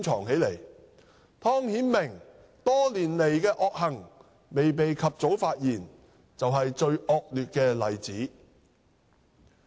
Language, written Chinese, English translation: Cantonese, 湯顯明多年來的惡行未被及早發現便是最惡劣的例子。, The worst example is that Timothy TONGs misdeeds over the years had not been brought to light early